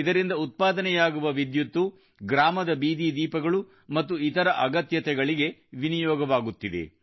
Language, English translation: Kannada, The electricity generated from this power plant is utilized for streetlights and other needs of the village